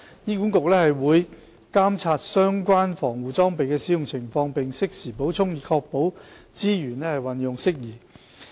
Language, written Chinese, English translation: Cantonese, 醫管局會監察相關防護裝備的使用情況，並適時補充，以確保資源運用得宜。, HA will monitor the consumption of protective personal equipment and make timely replenishment to ensure proper use of resources